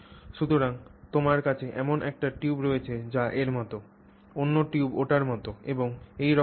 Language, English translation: Bengali, So you have a tube that is like that, another tube that is like that, and so on